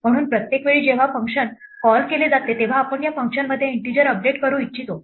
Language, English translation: Marathi, So every time a function is called we would like to update that integer inside this function